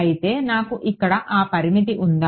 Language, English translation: Telugu, Whereas, did I have that limitation here